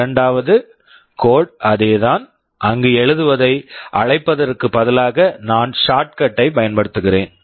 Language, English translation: Tamil, The second code is the same one where instead of calling write I am using the shortcut